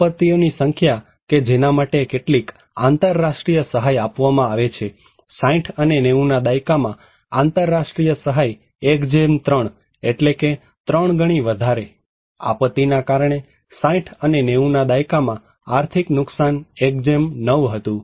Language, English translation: Gujarati, Number of disaster for which some international aid is executed, in 60s and 90s, international aid 1 : 3; 3 times more, economic losses due to disaster in 60’s and 90’s; 1:9